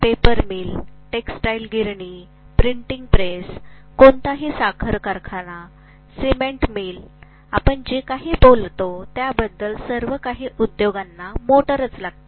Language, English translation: Marathi, Paper mills, textile mills, printing presses, any, sugar mill, cement mill, anything you talk about everything is going to have, all those industries have motors